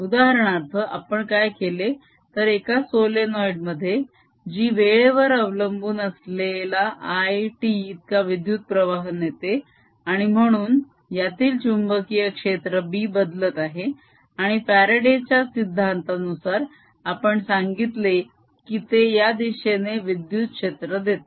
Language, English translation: Marathi, for example, we did something in which is solenoid, whose carrying a current which was time dependent i, t, and therefore the magnetic field inside this b was changing and that we said by faraday's law, gave rise to an electric field going around um direction